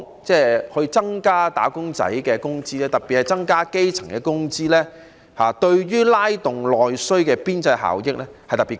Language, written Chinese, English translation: Cantonese, 因此，增加"打工仔"的工資，特別是增加基層的工資，對於拉動內需的邊際效益特別高。, Therefore increasing the wages of wage earners especially the grass roots will have a particularly high marginal return in stimulating domestic demand